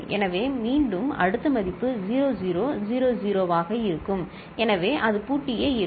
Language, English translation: Tamil, So, again next value will be 0 0 0 0; so it will remain locked